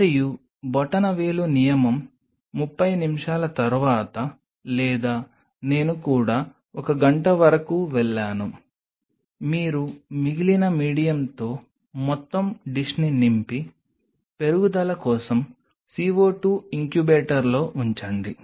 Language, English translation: Telugu, And the thumb rule is after 30 minutes or sometime even I have gone up to one hour you then fill the whole dish with rest of the medium and put it in the CO 2 incubator for growth